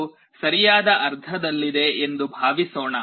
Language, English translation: Kannada, Suppose it is in the right half